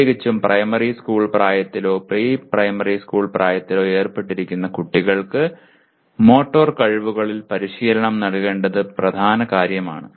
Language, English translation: Malayalam, We are involved especially at primary school age or even preschool age one of the major things is the children will have to be trained in the motor skills